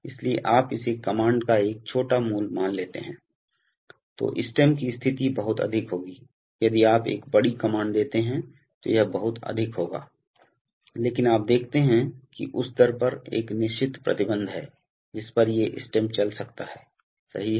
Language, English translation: Hindi, So if you give a small core value of command this, the stem position will be this much, if you give a large command, it will be this much, but you see there is a certain restriction on the rate at which these stem can travel, right